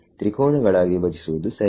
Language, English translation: Kannada, Break into triangles so right